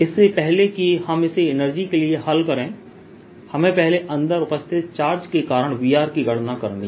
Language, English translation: Hindi, just before this, when we solve for the energy, we first calculated v at r due to charge inside